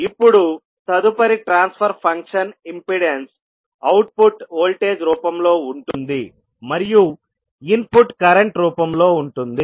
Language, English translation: Telugu, Now, next transfer function can be impedance, where output is in the form of voltage, while input is in the form of current